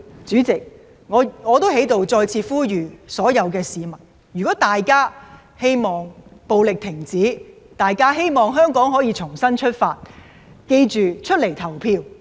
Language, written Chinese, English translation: Cantonese, 主席，我在此再次呼籲所有市民，如果大家希望停止暴力，希望香港可以重新出發，記得出來投票。, President I would like to call on the public once again to come out and cast their votes if they hope that the violence can stop and Hong Kong can start anew